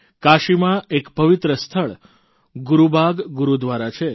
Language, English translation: Gujarati, There is a holy place in Kashi named 'Gurubagh Gurudwara'